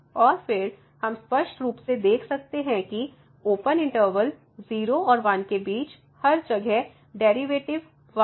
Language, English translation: Hindi, And, then we clearly see the derivative is 1 everywhere here between these two 0 and 1 open interval 0 and 1